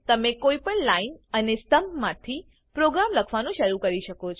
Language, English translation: Gujarati, You can start writing your program from any line and column